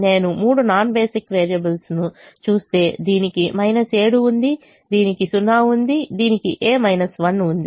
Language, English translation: Telugu, but if i look at the three non basic variables, this has a minus seven, this has a zero, this has a minus one